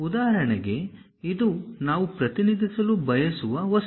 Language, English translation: Kannada, For example, this is the object we would like to represent